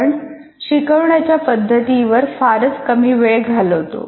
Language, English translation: Marathi, Now we spend a little time on instructional methods